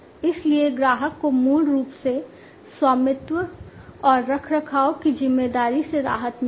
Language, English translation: Hindi, So, customer is basically relieved from the responsibility of ownership, and maintenance